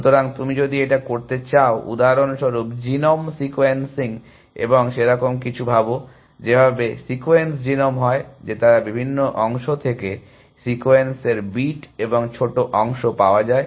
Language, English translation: Bengali, So you do, if you want to do for example, genome sequencing and thinks like that, the way the sequence genome is that they get bits and pieces of the sequence from different parts